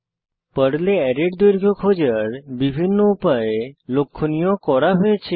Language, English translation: Bengali, Highlighted, are various ways to find the length of an array in Perl